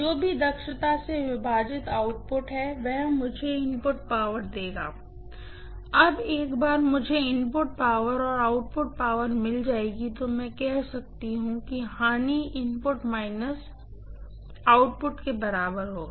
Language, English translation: Hindi, Whatever is the output divided by efficiency will give me the input power, now once I get the input power and output power I can say losses will be equal to input minus output, right